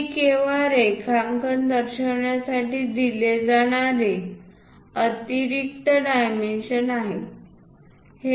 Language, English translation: Marathi, These are the extra dimensions given just to represent the drawing